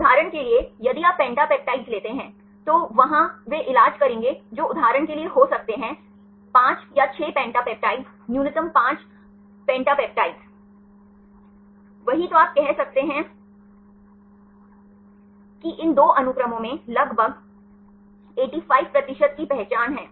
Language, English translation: Hindi, For example, if you take pentapeptides, there will be they treat that may be for a example 5 or 6 pentapeptides minimum 5 pentapeptides, the same then you can say that these two sequences which have the identity of about 85 percent